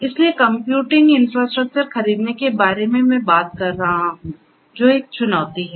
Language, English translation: Hindi, So, buying the computing infrastructure I am talking about right so that is a challenge